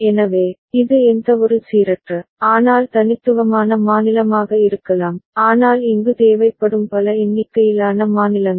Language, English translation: Tamil, So, it could be any random, but unique state, so but as many number of state as many count that is required here